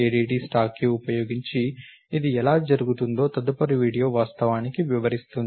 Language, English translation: Telugu, The next video actually explains how this is done using the ADT stack